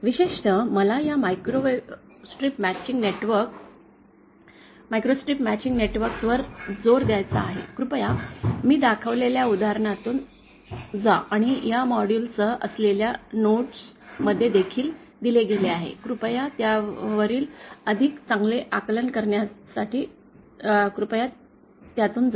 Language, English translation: Marathi, Especially I want to emphasise for this microstrip matching networks, please go through the example that I have shown and it is also given in the notes accompanying this module, please go through it to get a better grasp on it